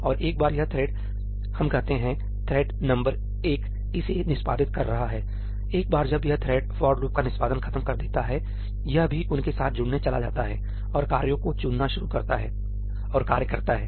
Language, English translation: Hindi, And once this thread, let us say, thread number one is executing this, once this thread finishes the execution of this for loop, it is also going to join them, and start picking up the tasks and doing the tasks